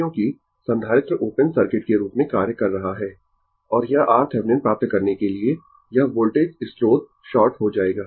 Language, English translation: Hindi, Because, capacitor is acting as open circuit right and this for getting R Thevenin, this voltage source will be shorted right